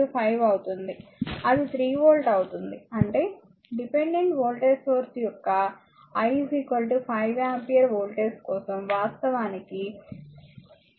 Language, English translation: Telugu, 6 into 5 so, it will be 3 volt; that means, volt for I is equal to 5 ampere voltage of the dependent your dependent voltage source it is actually is equal to 3 volt right 3 volt